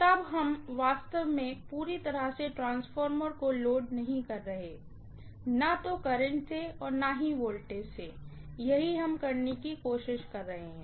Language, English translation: Hindi, So, we are not really loading the transformer to the fullest extent, neither by the current, or nor by the voltage, that is what we are trying to do